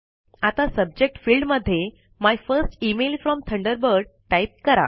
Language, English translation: Marathi, Now, in the Subject field, type My First Email From Thunderbird